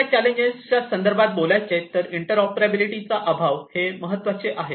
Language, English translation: Marathi, In terms of other challenges lack of interoperability is important